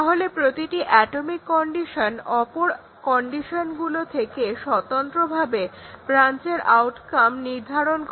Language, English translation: Bengali, So, that is each atomic condition it determines the outcome of the branch independently of the other conditions